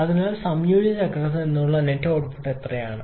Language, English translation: Malayalam, So what is the net output from the combined cycle